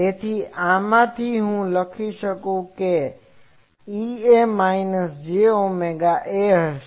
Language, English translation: Gujarati, So, from this, I can write that E A will be minus j omega A